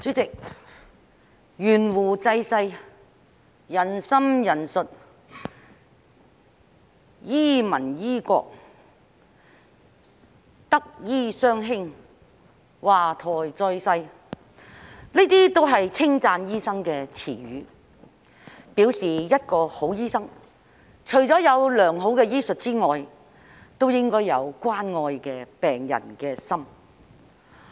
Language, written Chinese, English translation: Cantonese, 主席，"懸壺濟世"，"仁心仁術"，"醫民醫國"，"德醫雙馨"，"華佗再世"，這些都是稱讚醫生的詞語，表示一個好醫生，除了有良好醫術之外，也應該有關愛病人的心。, President the expressions to rescue mankind with acts of supererogation and a heart of philanthropy to have medical skills with a benevolent heart to heal the sick like governing a nation to be not only accomplished in leechcraft but also in possession of medical virtue and the rebirth of the great doctor HUA Tuo are all praises for a doctor meaning that a good doctor apart from having good medical skills should also have a caring heart for his patients